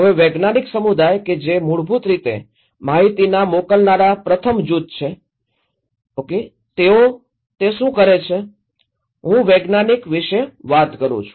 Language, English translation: Gujarati, Now, the scientific community basically, the first group the senders of the informations what do they do basically, I am talking about the scientist